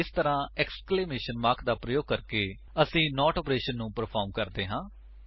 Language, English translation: Punjabi, This way, by using the exclamation mark we perform the NOT operation